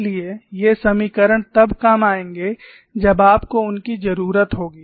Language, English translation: Hindi, So, these equations will come in handy when you need them, thank you